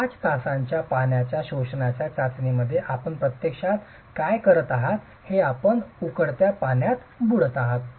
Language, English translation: Marathi, In the 5 hour water absorption test what you are actually doing is you are immersing it in boiling water